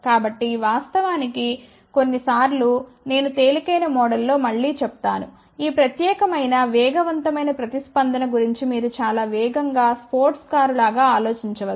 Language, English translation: Telugu, In fact, sometimes I actually say again in the lighter mode you can think about this particular fast response as something like a very fast sports car